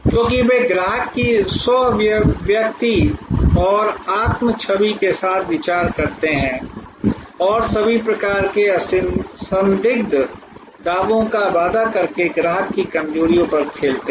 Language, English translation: Hindi, Because, they thinker with customer self expression and self image and play on customer weaknesses by promising all kinds of unsubstantial claims